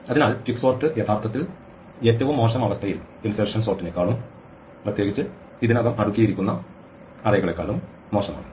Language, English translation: Malayalam, So, quicksort is actually in the worst case doing even worse than insertion sort and specifically on already sorted arrays